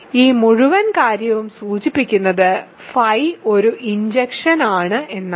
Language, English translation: Malayalam, So, this whole thing implies phi is injective